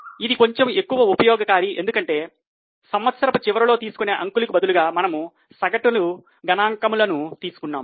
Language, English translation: Telugu, This is a bit of improved one because instead of taking year end figures, you have taken average figures